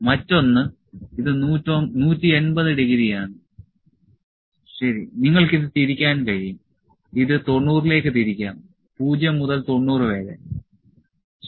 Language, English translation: Malayalam, The other this is 180, ok; you can rotate it to and this can be rotated to 90 degrees, 0 to 90, ok